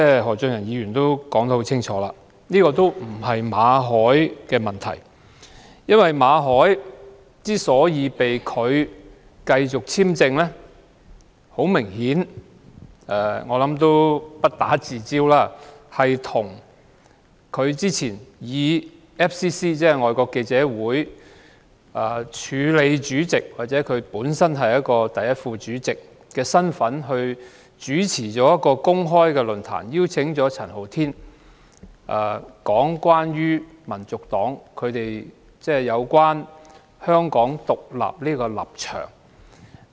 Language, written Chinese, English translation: Cantonese, 何俊賢議員剛才說明，這不是馬凱的問題，他被拒續發簽證的原因，很明顯是與他早前以香港外國記者會署理主席或第一副主席的身份主持一個公開論壇，邀請陳浩天講解香港民族黨有關香港獨立的立場。, Mr Steven HO has just stated that there is no problem with Victor MALLET . Evidently his application for visa renewal was rejected because earlier he chaired a public forum in his capacity as Acting President or First Vice President of the Foreign Correspondents Club Hong Kong FCC which invited Andy CHAN to speak on the Hong Kong National Partys position on Hong Kong independence